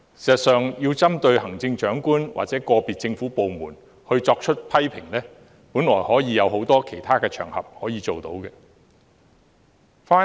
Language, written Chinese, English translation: Cantonese, 事實上，針對行政長官或個別政府部門作出批評，本來有很多其他場合可以做到。, As a matter of fact there are many other occasions on which criticisms can be made against the Chief Executive or individual government departments